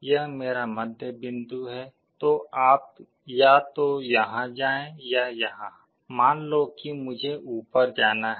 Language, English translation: Hindi, This is my middle point then you either go here or here, let us say I have to go up